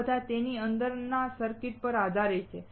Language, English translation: Gujarati, All these depends on the circuit within it